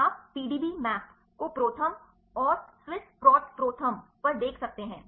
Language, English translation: Hindi, You can see the PDB map to the ProTherm and Swiss proto ProTherm and so, on